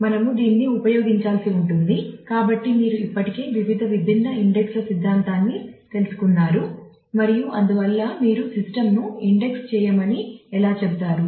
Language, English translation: Telugu, Because we will have to use it you have already known the theory of various different indices and so, on so, how do you actually tell the system to index